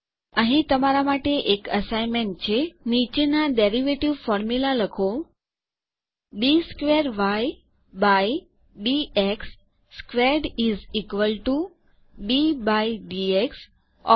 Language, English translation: Gujarati, Here is an assignment for you: Write the following derivative formula: d squared y by d x squared is equal to d by dx of